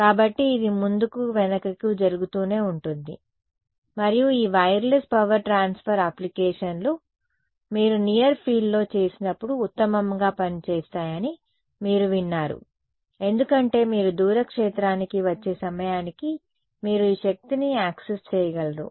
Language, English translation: Telugu, So, this I mean back and forth keeps happening and there are you heard of these wireless power transfer applications right those work best when you do it in the near field because you are able to access this energy by the time you come to the far field its becomes purely real